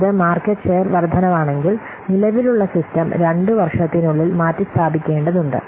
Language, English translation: Malayalam, If it's a market share increases, then the existing system might need to be replaced within two years